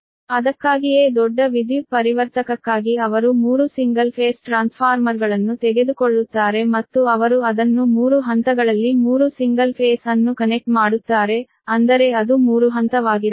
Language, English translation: Kannada, thats why for large power transformer they take three single phase transformer and they connect it three single phase in three phase such that it should be three phase